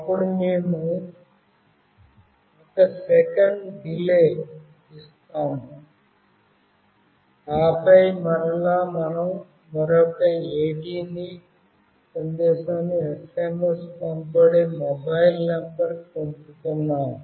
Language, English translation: Telugu, Then we give a delay of 1 second and then again we are sending another AT command where we are providing the mobile number to which the SMS will be sent